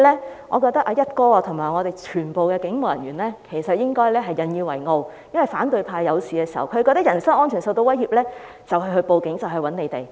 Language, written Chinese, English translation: Cantonese, 因此，我覺得"一哥"和全體警務人員都應該引以為傲，因為反對派遇事、覺得人身安全受到威脅便會報案找警隊幫忙。, Therefore I think the Commissioner of Police and all police officers should take pride in such reports as the opposition camp would report to the Police for help whenever they are in trouble or feel that their personal safety is threatened